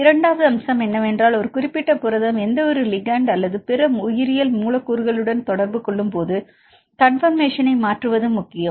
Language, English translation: Tamil, Second aspect is it is also important to change the conformation when a specific protein is interacting with any ligands or other biological molecule